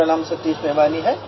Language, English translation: Hindi, My name is Satish Bewani